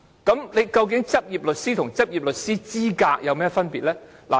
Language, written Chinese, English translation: Cantonese, 究竟"執業律師"和"執業律師資格"有何分別？, What is the difference between a practising solicitor and having the qualification to practise as a solicitor?